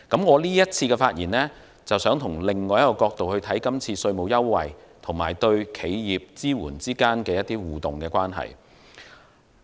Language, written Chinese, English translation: Cantonese, 我這次發言想從另一個角度來看今次稅務優惠與對企業支援之間的互動關係。, In the present speech I wish to look from another angle at the interactive relations between the current tax concession and the support for enterprises